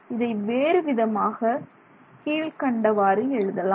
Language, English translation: Tamil, So, this is the general way in which we write this